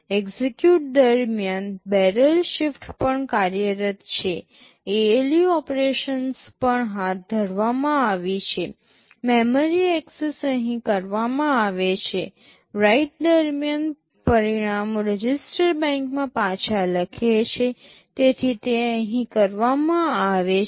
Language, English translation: Gujarati, During execute the barrel shifter is also working, ALU operations also carried out, memory access are carried out here; during write, the results written back into the register bank, so it is done here